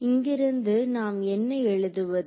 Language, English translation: Tamil, So, from here what can we write